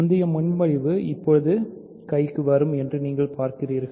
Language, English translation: Tamil, You see where the previous proposition, now will come in handy